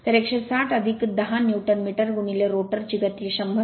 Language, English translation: Marathi, So, 160 plus 10 Newton metre into the rotor speed 100